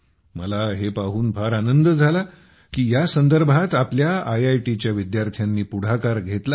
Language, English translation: Marathi, I loved seeing this; our IIT's students have also taken over its command